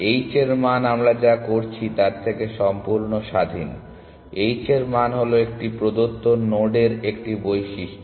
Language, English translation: Bengali, H value is independent of what we are doing, H value is simply a property of a given node